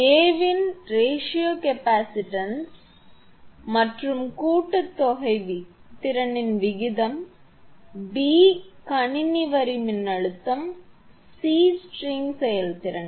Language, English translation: Tamil, Find, a ratio of the capacitance of joint to capacitance of disc; b system line voltage, and c string efficiency